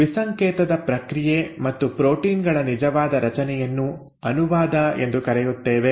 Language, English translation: Kannada, That process of decoding and the actual formation of proteins is what you call as translation